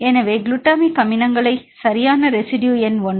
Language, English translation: Tamil, So, example if we take the glutamic acids right residue number one